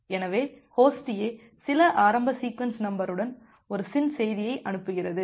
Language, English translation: Tamil, So Host A sends a SYN message with certain initial sequence numbers